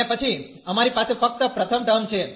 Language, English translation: Gujarati, And then we have only the first term